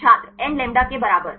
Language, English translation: Hindi, nλ equal to